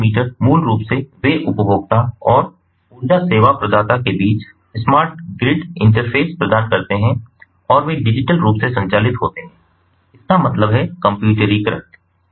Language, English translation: Hindi, so the smart meters: basically they provide the smart grid interface between the consumer and the energy service provider and they operate digitally